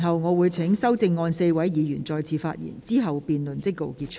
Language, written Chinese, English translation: Cantonese, 我會請提出修正案的4位議員再次發言，之後辯論即告結束。, As the Secretary has already spoken I will call upon the four Members who have proposed amendments to speak again . Then the debate will come to a close